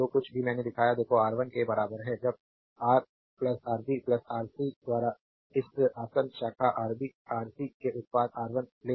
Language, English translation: Hindi, Whatever I shown look R 1 is equal to when you take R 1 product of this adjacent branch Rb Rc by Ra plus Rb plus Rc